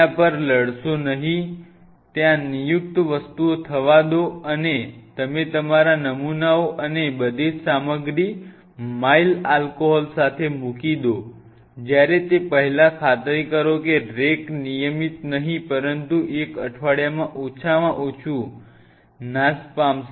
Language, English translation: Gujarati, Do not fight over it let there be designated things and before you put your samples and everything just with the mile alcohol white the stuff keeps it there and ensure that rack is being bite out at least on if not regular basis at least once in a week